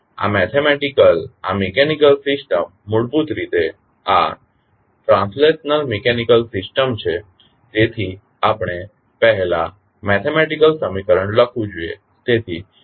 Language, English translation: Gujarati, Now, this mathematical, this mechanical system, the basically this is translational mechanical system, so we have to first write the mathematical equation